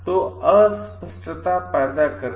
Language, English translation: Hindi, So, by creating ambiguity